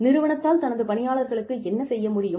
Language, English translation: Tamil, What is it that, the company wants to do, for its employees